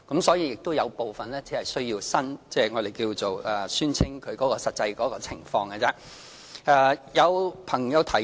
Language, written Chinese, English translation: Cantonese, 所以，只有部分申請人需要就他們的實際情況作出宣稱。, This is why only some applicants are required to declare their actual working hours or wages